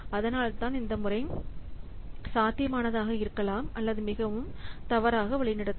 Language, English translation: Tamil, So that's why this method potentially may what may be very misleading